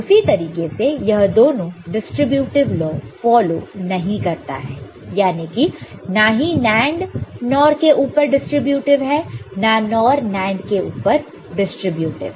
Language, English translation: Hindi, And similarly for distributive I do not follow distributive law over each other NAND is not distributive over NOR or vice versa NOR is not distributive over NAND